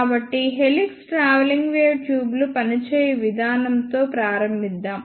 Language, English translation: Telugu, So, let us begin with working of helix travelling wave tubes